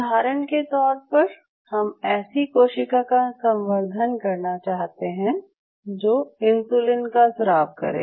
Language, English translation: Hindi, So, having said this say for example, we wanted to culture a cell which secretes insulin